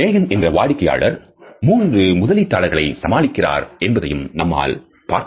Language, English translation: Tamil, In this particular clip we find that one of the clients Megan has to pitch three investors